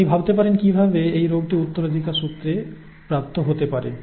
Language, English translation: Bengali, You you could think how else could the disorder be inherited